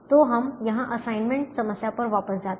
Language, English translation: Hindi, so we go back to the assignment problem here, and so we solved assignment problem